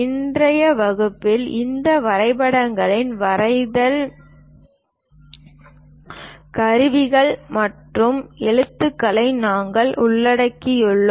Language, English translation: Tamil, So, in today's class, we have covered drawing instruments and lettering of these drawings